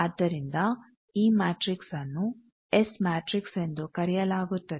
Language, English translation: Kannada, So, this matrix is called S matrix